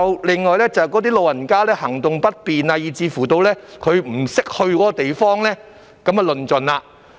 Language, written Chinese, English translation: Cantonese, 另外，有些老人家行動不便，又或是不懂得前往這地方便麻煩了。, Besides some elderly persons having difficulty in moving around or not knowing how to go there will run into trouble